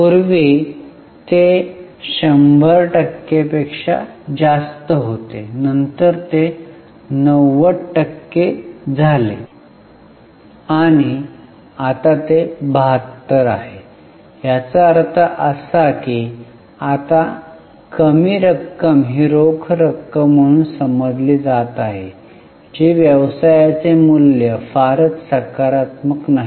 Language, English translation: Marathi, There also you see a drop earlier it was more than 100% then it became 90 and now it is 72, which means that lesser amount is now getting realized as a cash which is not a very positive value for the business